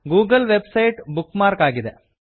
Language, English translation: Kannada, The google website is bookmarked